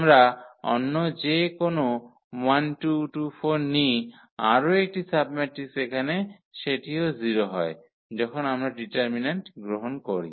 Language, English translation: Bengali, We take any other 1 2, 2 4, one more submatrix here also this is 0 when we take the determinant